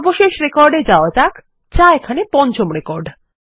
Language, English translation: Bengali, Let us go to the last record which is the fifth